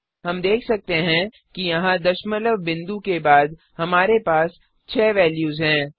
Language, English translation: Hindi, We can see that here we have six values after the decimal point